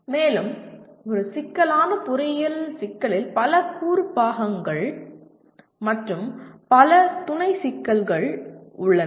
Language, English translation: Tamil, And also a complex engineering problem has several component parts and several sub problems